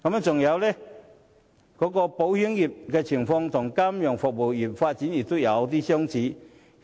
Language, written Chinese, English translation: Cantonese, 此外，保險業的情況和金融服務業的發展有其相似之處。, As for the insurance industry it shares some similarities with the financial services industry in respect of development